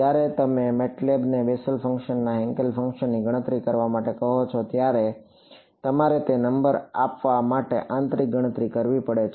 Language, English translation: Gujarati, When you ask MATLAB to compute Bessel function Hankel function, it has to do a internal calculation to give you that number